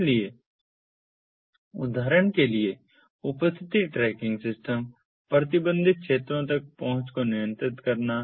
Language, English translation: Hindi, so attendance tracking systems, for example, controlling access to restricted areas